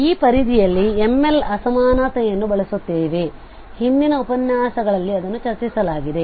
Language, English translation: Kannada, So with this bound we can observe that we will use this M L inequality which was also discussed in previous lectures